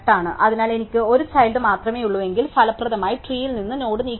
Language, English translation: Malayalam, So, if I have only one child we just remove the node if effectively from the tree